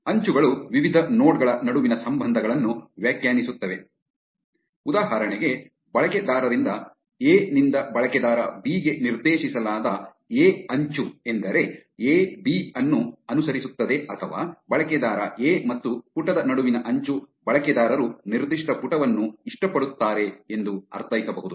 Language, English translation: Kannada, Edges define the relationships between various nodes, for instance, a directed edge from user a to user b can mean that a follows b or an edge between a user a and the page can mean that user likes that particular page